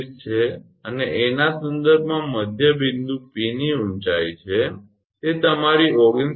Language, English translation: Gujarati, 0 and height of the midpoint P with respect to A then it will be your 19